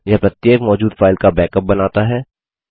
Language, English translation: Hindi, This makes a backup of each exiting destination file